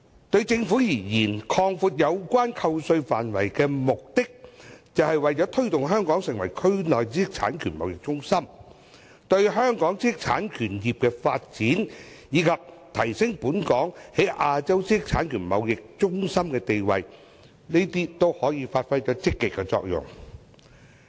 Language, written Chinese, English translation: Cantonese, 對政府而言，擴闊有關扣稅範圍的目的，是為了推動香港成為區內知識產權貿易中心，並對香港知識產權業的發展，以及提升本港作為亞洲知識產權貿易中心的地位，發揮積極作用。, The Governments objective of expanding the scope of tax deduction is to promote Hong Kong as a regional hub of intellectual property trading . Specifically the aim is to give impetus to the development of Hong Kongs intellectual property industry and upgrade our status as a trading hub of intellectual property in Asia